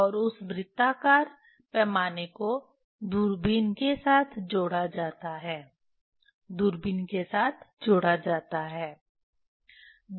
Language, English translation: Hindi, And that circular scale is attached with the telescope attached with the telescope